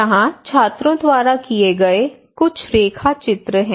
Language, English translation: Hindi, Here some of the sketches done by the students